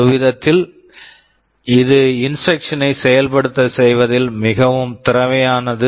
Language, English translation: Tamil, In some sense it is more efficient with respect to execution of the instructions